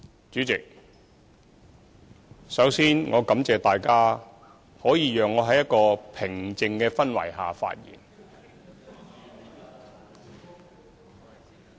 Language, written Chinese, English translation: Cantonese, 主席，首先，我感謝大家，讓我可以在一個平靜的氛圍下發言。, President first of all I thank Members for allowing me to speak in a calm atmosphere